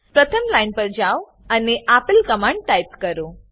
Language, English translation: Gujarati, Go back to the first line and type the following command